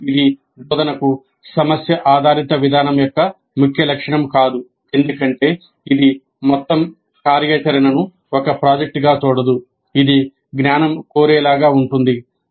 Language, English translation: Telugu, But this is not a key feature of problem based approach to instruction because it doesn't look at the whole activity as a project